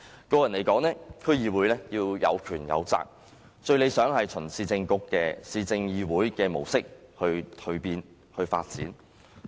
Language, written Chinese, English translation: Cantonese, 個人認為，區議會要有權有責，最理想是循市政議會的模式蛻變。, Personally I think that DCs must carry both powers and responsibilities most ideally following the transformation pattern of city councils